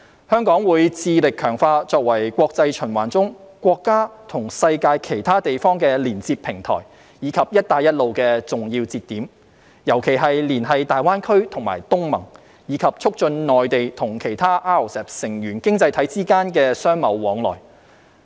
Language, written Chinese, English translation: Cantonese, 香港會致力強化作為國際循環中國家與世界其他地方的連接平台，以及"一帶一路"的重要節點，尤其是連繫大灣區和東盟，並促進內地和其他 RCEP 成員經濟體之間的商貿往來。, Hong Kong aims to strengthen its status as a connecting platform between the Mainland and the rest of the world under international circulation and a key link for the Belt and Road Initiative particularly GBA and ASEAN and promote trading between the Mainland and other member economies of RCEP